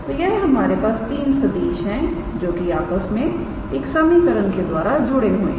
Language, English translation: Hindi, So, these are the three vectors that are connected with this equation